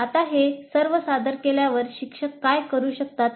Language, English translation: Marathi, Now having presented all this, what exactly, what can the teacher do